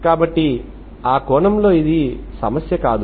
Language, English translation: Telugu, So in that sense it is not an issue